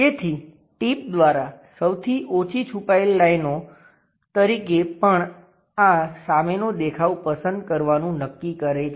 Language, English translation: Gujarati, So, by tip, fewest number of hidden lines also determines to pick this front view